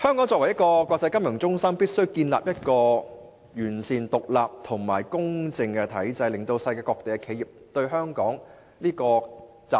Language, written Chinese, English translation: Cantonese, 作為國際金融中心，香港必須建立一個完善、獨立及公正的體制，令世界各地的企業有信心前來香港集資。, As an international financial centre Hong Kong should establish a satisfactory independent and fair system so that enterprises all over the world will have confidence in raising funds in Hong Kong